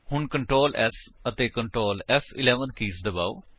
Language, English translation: Punjabi, So press ctrl, S And Ctrl, F11 keys